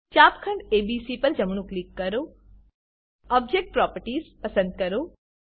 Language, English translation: Gujarati, Right click on sector ABC Select Object Properties